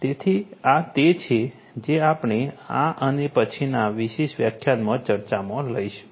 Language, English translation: Gujarati, So, this is what we are going to discuss in this particular lecture and the next